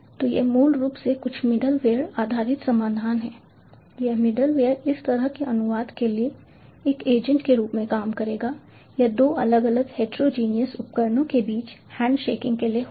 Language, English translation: Hindi, this middleware will act as an agent for this kind of translation or handshaking between two different, heterogeneous devices